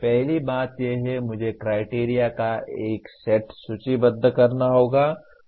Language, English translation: Hindi, First thing is I have to list a set of criteria